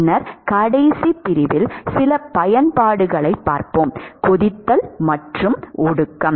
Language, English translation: Tamil, And then in the last section, we will look at some applications: boiling and condensation